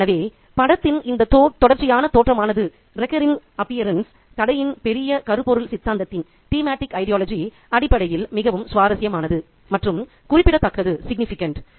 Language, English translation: Tamil, So, this recurrent appearance of the boat is very, very interesting and significant in terms of the larger thematic ideology of the story